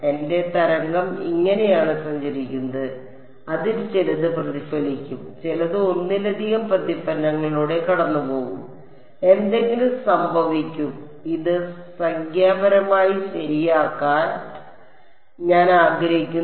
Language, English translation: Malayalam, My wave is travelling like this, some of it will get reflected some of it will go through multiple reflection will happen something will come out and I want to solve this numerically right